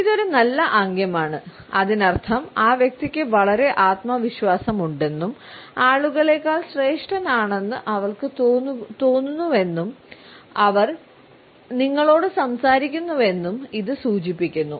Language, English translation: Malayalam, This is a good gesture and it means that the person is very confident and it can also indicate that, she feels that she is superior to the people, she is talking to you